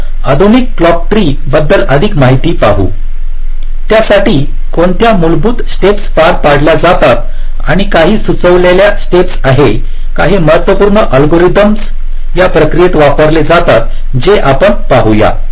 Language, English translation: Marathi, ok, now coming to the modern clock tree synthesis, let us look at what are the basic steps which are carried out and some suggested algorithms, some important algorithms which are used in the process